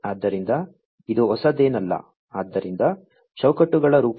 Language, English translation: Kannada, So, this is nothing new so, in the form of frames